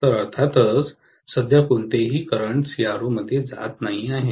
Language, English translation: Marathi, So, obviously there is hardly any current going into the CRO